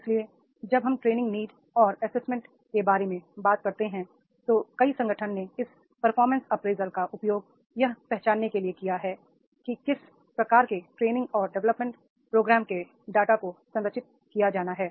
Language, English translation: Hindi, So when we talk about the training need and assessment, in training need and assessment, many organizations they use these performance appraisal to identify that what type of the training and development programs that are to be structured and designed